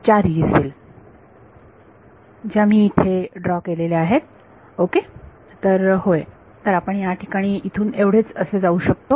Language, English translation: Marathi, 4 Yee cells which I have drawn ok; so, yeah there is only so much we can go from here